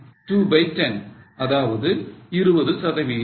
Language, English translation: Tamil, 2 by 10, that means 20%